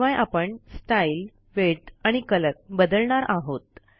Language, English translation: Marathi, I will also change the Style, Width and Color